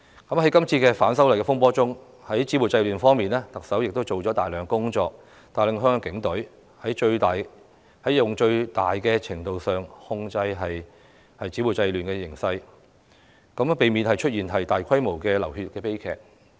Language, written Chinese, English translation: Cantonese, 在今次反修例風波之中，特首在止暴制亂方面做了大量工作，帶領香港警隊在最大程度上控制暴亂的形勢，避免出現大規模的流血悲劇。, During the disturbances arising from the opposition to the proposed legislative amendments the Chief Executive has made enormous efforts in stopping violence and curbing disorder . Under her leadership the Hong Kong Police Force took control of the situation to the maximum extent and pre - empted large - scale tragic bloodshed